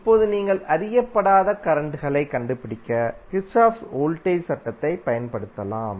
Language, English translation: Tamil, Now you can simply apply the Kirchhoff's voltage law to find the unknown currents